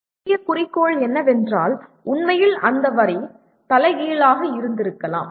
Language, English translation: Tamil, The major goal is, actually the sentence could have been reversed